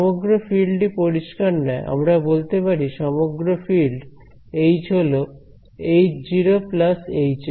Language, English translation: Bengali, The total field that is not clear we can say that the total field H is the sum of H naught plus Hs